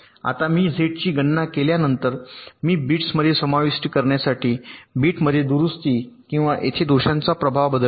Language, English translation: Marathi, now, after i compute z, i make corrections or modifications to the bits to incorporate the effect of the faults here